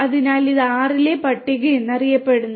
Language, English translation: Malayalam, So, this is known as the list in R